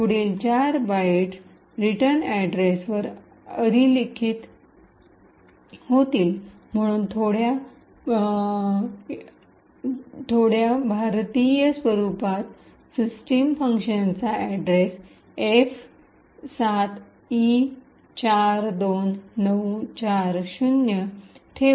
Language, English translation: Marathi, The next four strings would be overriding the return address, so in little Indian format will put the address of the system function that is F7E42940